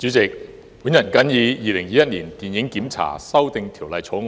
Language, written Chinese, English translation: Cantonese, 代理主席，我發言支持《2021年電影檢查條例草案》。, Deputy President I speak in support of the Film Censorship Amendment Bill 2021 the Bill